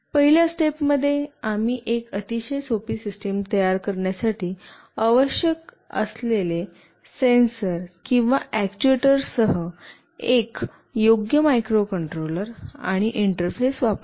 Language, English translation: Marathi, In the first step, we use a suitable microcontroller and interface with the required sensors or actuators to build up a system that is very straightforward